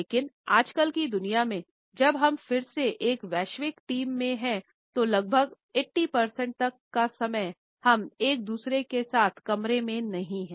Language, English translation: Hindi, But in today’s world, when we are often in global virtual teams most of the time up to 80 percent of the time we are not in the room with one another anymore